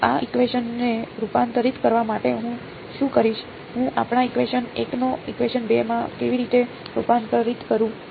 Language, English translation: Gujarati, So, to convert this equation what would I, what is the how do I convert our equation 1 into equation 2